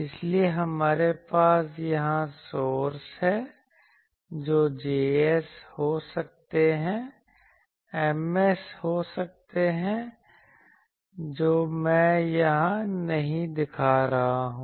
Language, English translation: Hindi, So, we have the sources here may be J s, may be M s that I am not showing here